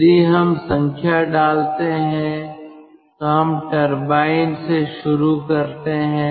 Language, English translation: Hindi, if we put the numbers, lets start from the turbine